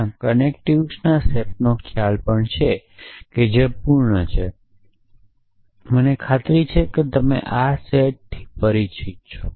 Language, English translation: Gujarati, So, there is a notion of a set of connectives also which is complete I am sure you are familiar with this set